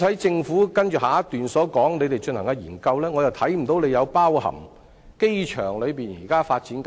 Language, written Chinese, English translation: Cantonese, 政府在接下來一段提及正進行的研究，我卻看不到有包括機場現時的發展項目。, In the next paragraph of the reply the Government mentions the study that it is currently undertaking but I notice that the existing development projects of the airport are not included